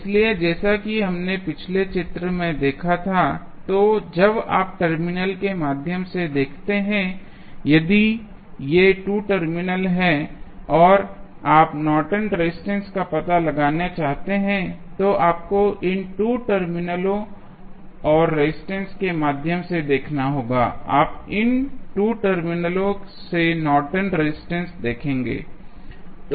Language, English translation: Hindi, So, as we saw in the previous figure, so, when you look through the terminal suppose, if these are the 2 terminals, and you want to find out the Norton's resistance, then you have to look through these 2 terminal and the resistance which you will see from these 2 terminals would be Norton's resistance